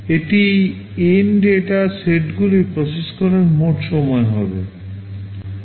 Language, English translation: Bengali, This will be the total time to process N data sets